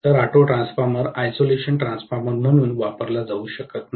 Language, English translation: Marathi, Auto transformer cannot be used as an isolation transformer